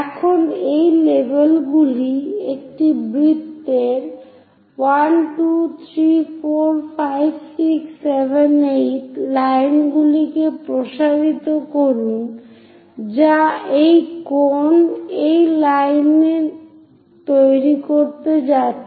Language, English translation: Bengali, Now from these labels 1, 2, 3, 4, 5, 6, 7, 8 of the circle; extend the lines which are going to generate lines on the cones